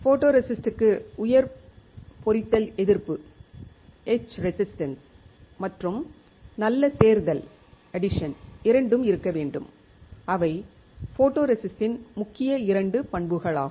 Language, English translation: Tamil, The photoresist should have high etch resistance and good addition which are the main two properties of a photoresist